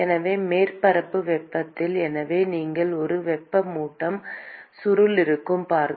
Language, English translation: Tamil, So the temperature of the surface so you see there will be a heating coil